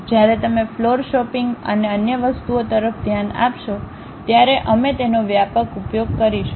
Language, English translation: Gujarati, When you are really looking at floor shopping and other things, we will extensively use that